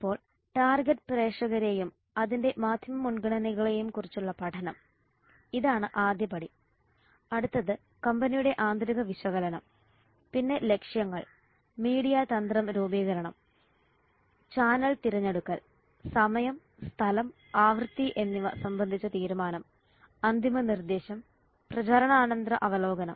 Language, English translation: Malayalam, so what are the steps in media planning now the study of target audience and its media preferences this is the first step next is the internal analysis how the company then setting objectives media strategy formulation channel selection decision on timing space and frequency final proposal and the post campaign review so these are the steps in media planning